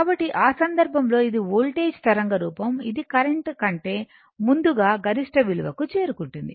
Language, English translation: Telugu, So, in that case this is the voltage wave form, it is reaching peak value earlier before the current